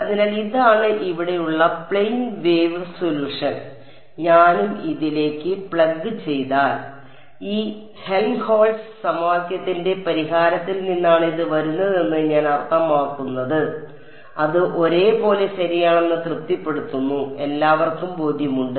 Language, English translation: Malayalam, So, this is the plane wave solution over here and you can see that if I and if I plug this into this I mean this is coming from the solution to this Helmholtz equation right, it satisfies it identically right, everyone is convinced